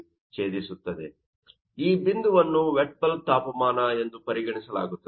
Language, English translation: Kannada, So, that point will be regarded as a wet bulb temperature